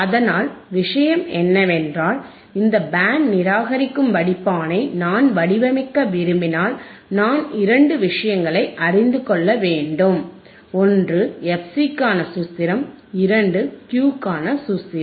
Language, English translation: Tamil, So, point is that, if I want to design this band reject filter, I should know two things, one is a formula for fC, second is formula for Q